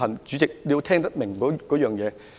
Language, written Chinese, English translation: Cantonese, 主席，你要聽懂我的內容。, President you need to understand the essence of my speech